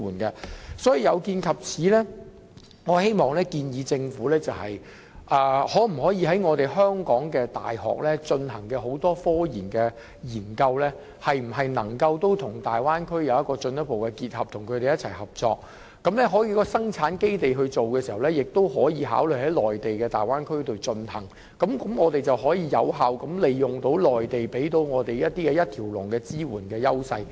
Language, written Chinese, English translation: Cantonese, 有見及此，我建議政府考慮是否可以促使香港各大學進行的科研項目與大灣區進一步結合，與他們一起合作，而在生產基地方面，也可以考慮在內地大灣區進行，這便能有效利用內地提供的一條龍支援。, In view of this I propose that the Government should consider whether the various local universities in Hong Kong can link their RD projects with the Bay Area to forge cooperation . Besides consideration can also be given to using the Bay Area in the Mainland as a base for production and this will enable us to effectively utilize the one - stop support provided in the Mainland